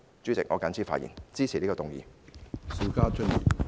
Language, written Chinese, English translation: Cantonese, 主席，我謹此陳辭，支持這項議案。, With these remarks President I support this motion